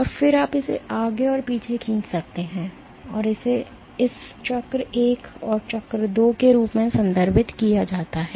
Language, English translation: Hindi, And then you can stretch it back and forth and that is what is referred to as this cycle 1 and cycle 2